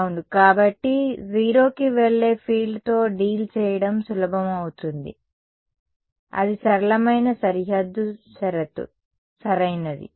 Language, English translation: Telugu, Yeah; so, we will it is simpler to do deal with field which is itself going to 0 that is the simplest boundary condition right